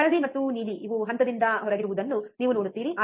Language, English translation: Kannada, You see yellow and blue these are out of phase